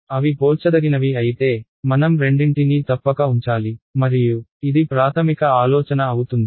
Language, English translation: Telugu, If they are comparable, I must keep both of them and this is the basic idea ok